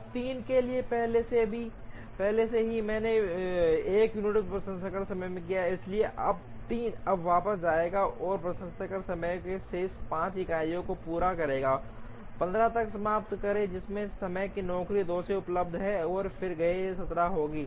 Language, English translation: Hindi, Now, for 3 already I have done 1 unit of processing time, so now 3 will now go back and complete the remaining 5 units of processing time, finish at 15 by which time job 2 is available and then this will be 17